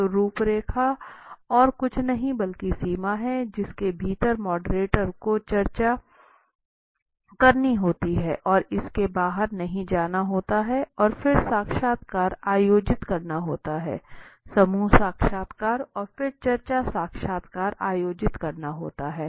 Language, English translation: Hindi, So outline is nothing but the boundary, within which the moderator has to keep the discussion and not go out of it right and then conduct the interview, focus groups interviews and then the discussion interviews